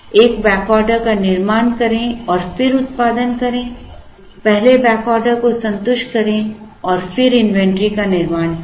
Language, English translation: Hindi, Build up a backorder and then produce use the, satisfy the backorder first and then build up the inventory